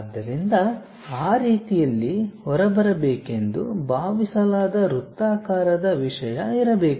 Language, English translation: Kannada, So, there must be something like a circular thing, supposed to come out in that way